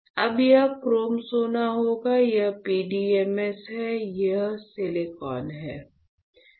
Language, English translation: Hindi, So, now, this will be my chrome gold, this is PDMS, this one is silicon, right